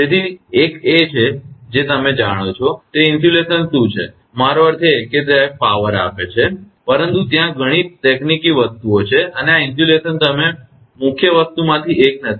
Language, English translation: Gujarati, So, one has to what insulation is a you know, I mean it is a we power comes, but there are many technical things are there and this insulation you are not one of the main thing right